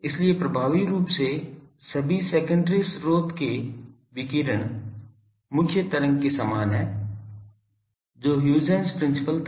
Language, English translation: Hindi, So, effectively all the secondary sources their radiation is same as the main waveform that was Huygens principle